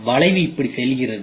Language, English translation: Tamil, So, the curve goes like this